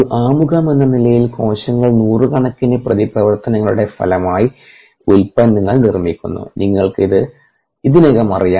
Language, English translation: Malayalam, so as an as an introduction, cells make products as a result of hundreds of reactions that take place inside them